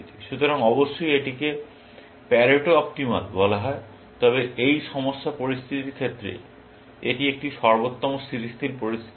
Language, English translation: Bengali, So, this of course, is called a Pareto Optimal, but it is not a stable optimal with this problem situation